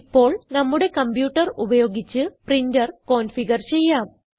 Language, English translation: Malayalam, Now, lets configure the printer using our computer